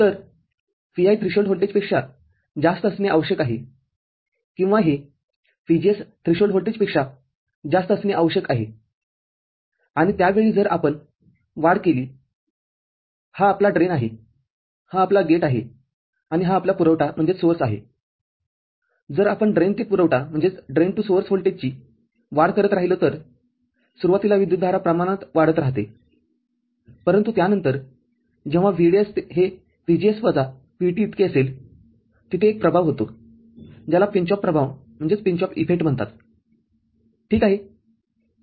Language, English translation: Marathi, So, Vi needs to be greater than threshold voltage or this VGS needs to be greater than the threshold voltage and at that time, if we increase the – increase, this is your drain, this is your gate and, this is your source if we keep increasing the drain to source voltage right, the current will increase linearly in the beginning, but after that there is an effect called pinch off effect when this VDS is equal to VGS minus VT ok